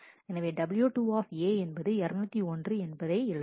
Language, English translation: Tamil, So, w 2 A will write 201